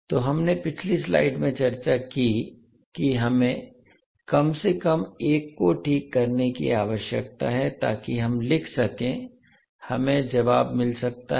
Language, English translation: Hindi, So that is what we have discussed in the last slide that we need to fix at least one so that we can write, we can get the answer